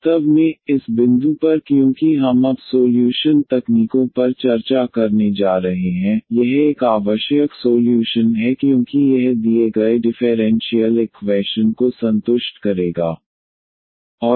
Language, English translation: Hindi, In fact, at this point because we are now going to discuss the solution techniques, this is a needed a solution because this will satisfies the given differential equation